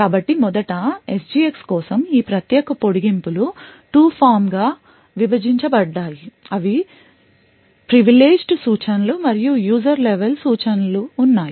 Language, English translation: Telugu, So first of all these special extensions for SGX are divided into 2 form one you have the Privileged set of instructions and the user level instructions